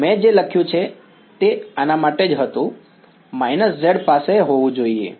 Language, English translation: Gujarati, Yeah, what I wrote was for this what, the z minus z should have